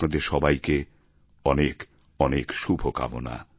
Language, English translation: Bengali, My good wishes to all of you